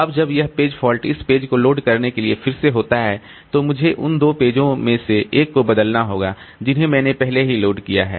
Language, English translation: Hindi, Now when this page fault occurs, again to load this page, I have to replace one of the two pages that I have already loaded